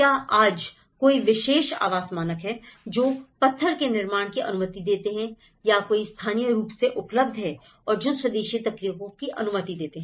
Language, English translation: Hindi, Now, today are there any particular housing standards, which is allowing a stone construction which is locally available which is allowing an indigenous methods